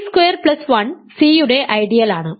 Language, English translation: Malayalam, 1 times t squared plus 1 is t squared plus 1